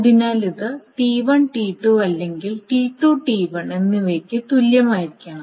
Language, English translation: Malayalam, So S is neither equivalent to T1T2, nor it is equivalent to T2T1